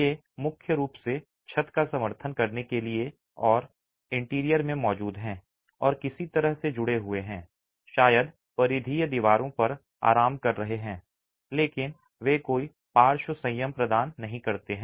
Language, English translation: Hindi, These are primarily to support the roof and are present in the interior and are connected in some way probably just resting onto the peripheral walls but they do not provide any lateral restraint